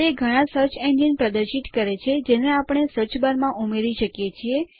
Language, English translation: Gujarati, It displays a number of search engines that we can add to the search bar